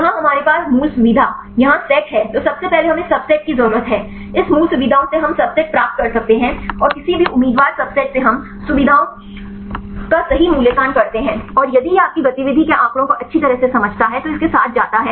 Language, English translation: Hindi, Here we have the original feature set here right then first we need the subset, from this original features we can get the subsets and from any candidate subset we evaluate the features right and if this is this explains well the your activity data then its go with these selected subset